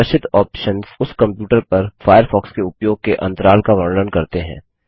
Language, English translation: Hindi, The displayed options is subject to the intervals between the usage of Firefox on that computer